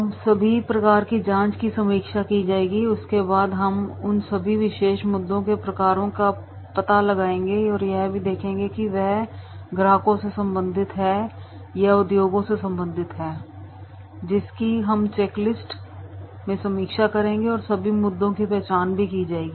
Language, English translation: Hindi, Review a checking of the types of issue beforehand that whatever there are the reviews or checklist is there then we will find out the types of issues related to that particular either related to the customers, related to the overall trends, related to the industry that we will review the checklist and all the issues will be identified